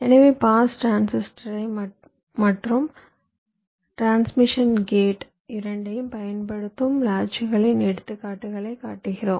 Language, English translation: Tamil, ok, so we show examples of latches that use both pass transistors and also transmission gates